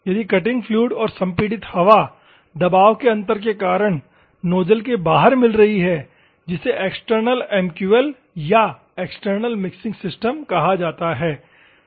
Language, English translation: Hindi, If the cutting fluid and the compressed air is mixing outside the nozzle by the virtue of pressure difference and other things, that is called external MQL or external mixing systems ok